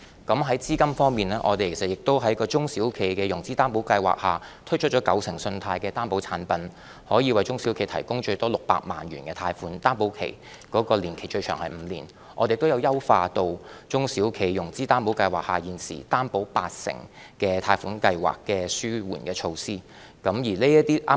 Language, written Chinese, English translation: Cantonese, 在資金方面，我們在中小企融資擔保計劃下，推出九成信貸的擔保產品，可以為中小企提供最多600萬元的貸款，擔保年期最長為5年；我們亦已優化中小企融資擔保計劃下現時擔保八成貸款計劃的紓緩措施。, In terms of capital under the SME Financing Guarantee Scheme SFGS we will introduce the 90 % Loan Guarantee Product . Each eligible SME can obtain guarantee for term loans up to 6 million with a maximum guarantee period of five years . We have also made enhancements to the relief measures for the 80 % Guarantee Product under SFGS